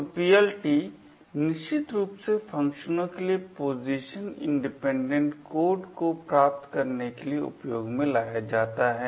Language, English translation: Hindi, So, PLT is essentially used to achieve a Position Independent Code for functions